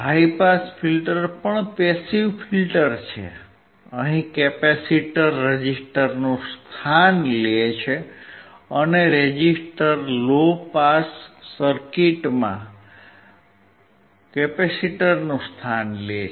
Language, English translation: Gujarati, High pass filter is also passive filter; here, the capacitor takes place of the resistor, and resistor takes place of a capacitor in the low pass circuit